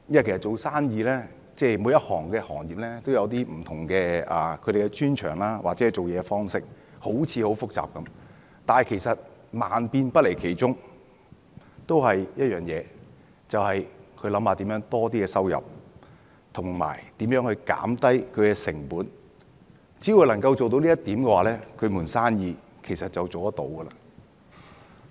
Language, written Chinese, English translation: Cantonese, 其實每個行業都有他們的專長或做事方式，好像很複雜，但萬變不離其宗，那就是如何增加收入和減低成本，只要做到這一點，一盤生意就可以維持。, Actually every industry has its own specialization or modus operandi . This may sound complicated but the underlying principle is always the same that is increasing revenue and reducing cost . As long as a business can adhere to this principle it will be able to survive